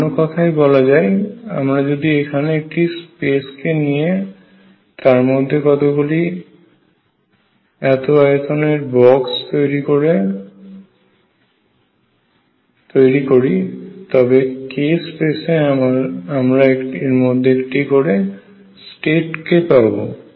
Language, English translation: Bengali, In other words if I take this space and make a box of size 2 pi by L in the k space there is one state in it